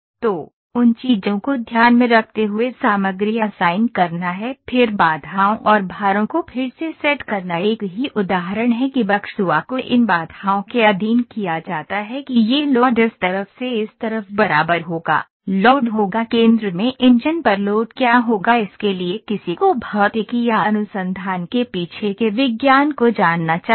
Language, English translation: Hindi, So, those things are to be taken into account assigning materials then setting constraints and loads constraints and loads are again the same example the loads that the buckle are subjected to these constraints that this the load will be from this side to this side equivalent, load would be there what will be the load on the in the engine in the centre for that one should know the physics or the science behind the research